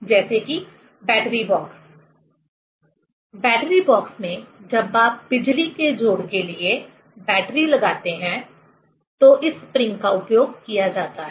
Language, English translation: Hindi, Say, battery box, in battery box when you place battery for electrical connection, this spring is used